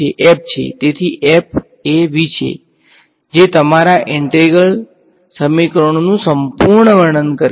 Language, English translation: Gujarati, f right so, f is V so, that completes the full description of your integral equations